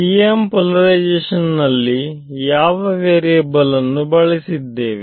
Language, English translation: Kannada, So, for the TM polarization right what was the variables in TM